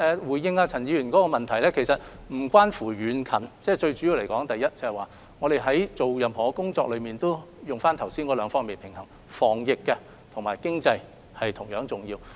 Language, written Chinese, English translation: Cantonese, 回應陳議員的質詢，其實無關乎地域遠近，我們的工作最主要考慮因素是以剛才提到的兩方面來作平衡，因為防疫和經濟同樣重要。, My answer to Mr CHANs supplementary question is that our consideration has nothing to do with the distance of these places . Our consideration mainly focuses on the two points that I have mentioned earlier because anti - epidemic measures are as important as economic recovery